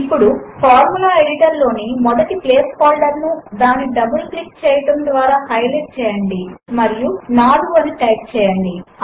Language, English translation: Telugu, Let us highlight the first placeholder in the Formula editor by double clicking it and then typing 4